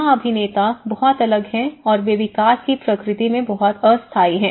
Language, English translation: Hindi, So here, the actors are very different and they are very much the temporal in nature the development is temporary in nature